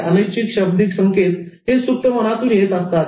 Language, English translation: Marathi, The involuntary non verbal cues, they actually come from the subconscious mind